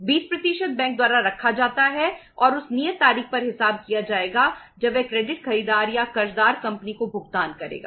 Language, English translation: Hindi, 20% is kept by the bank and that will be settled on the due date when that credit buyer or the sundry debtor will make the payment to the company